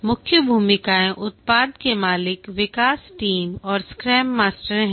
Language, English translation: Hindi, The key roles are the product owner development team and the scrum master